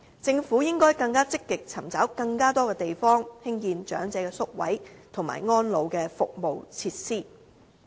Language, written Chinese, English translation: Cantonese, 政府應該更積極尋找更多地方，興建長者宿位和安老服務設施。, The Government should more actively identify sites for residential care places and facilities for the elderly